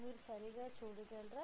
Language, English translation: Telugu, You can see it right